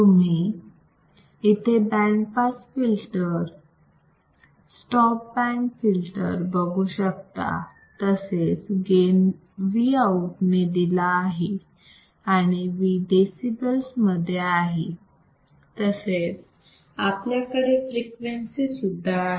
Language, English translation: Marathi, Then have you see here you see pass band, stop band gain is given by V out and V we have in decibels and we have frequency